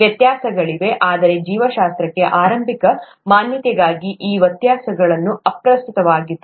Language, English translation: Kannada, There are differences but those differences will not matter for an initial exposure to biology